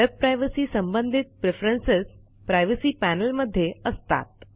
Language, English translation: Marathi, The Privacy panel contains preferences related to your web privacy